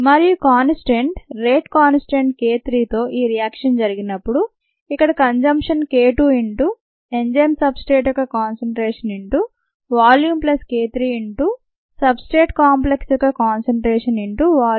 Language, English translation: Telugu, you see here it is consumed through the reverse reaction with the rate constant k two and this reaction with the rate constant k three, ah, the consumption is k two into concentration of the enzyme substrate into the volume, plus the k k three into the concentration of the enzyme substrate complex into the volume